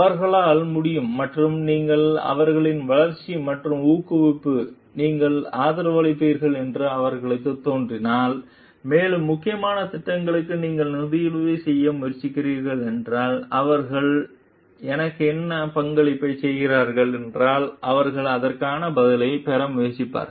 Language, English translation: Tamil, And they can and if you if they see like you are supporting their growth and promotion, and you are trying to sponsor for the important projects they will try to get an answer for like if they are contributing what is there in for me